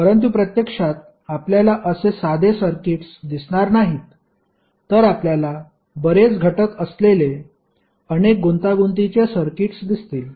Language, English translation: Marathi, But in reality you will not see simple circuits rather you will see lot of complex circuits having multiple components of the sources as well as wires